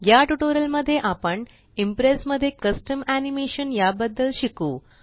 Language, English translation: Marathi, In this tutorial we will learn about Custom Animation in Impress